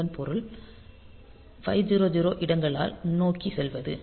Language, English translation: Tamil, So, this means that go forward by 500 locations ok